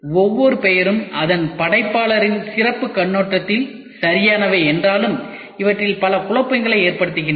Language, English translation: Tamil, Although each of the name is perfect from the special viewpoint of its creator many of these causes confusion ok